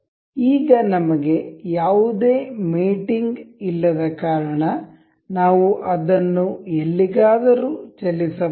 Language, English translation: Kannada, Because we have no mating as of now, we can move it anywhere